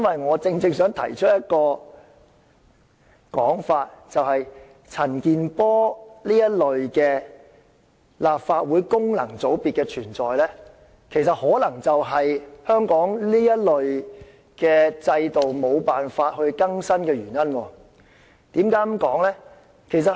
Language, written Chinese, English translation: Cantonese, 我正正想提出一種說法，就是陳健波議員這類立法會功能界別議員的存在，其實可能就是香港這方面制度無法更新的原因，為何我會這樣說呢？, I precisely wish to present a notion that is the functional constituency Members in the Legislative Council such as Mr CHAN Kin - por may well be the very reason for Hong Kongs failure of updating the related systems . Why did I say so?